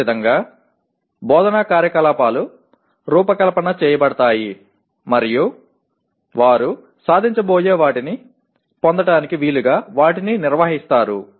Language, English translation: Telugu, Similarly, instructional activities are designed and conducted to facilitate them to acquire what they are expected to achieve